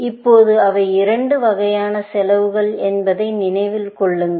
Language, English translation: Tamil, Now, keep in mind that they are two kinds of cost that are going to be involved